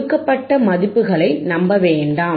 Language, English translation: Tamil, Do not rely on given values